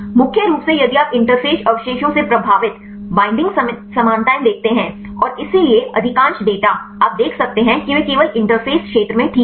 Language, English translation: Hindi, Mainly if you see the binding affinities affected by the interface residues and hence most of data you can see they replaced only at the interface region fine